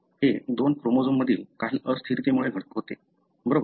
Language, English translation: Marathi, It happens because of some instability between two chromosomes, right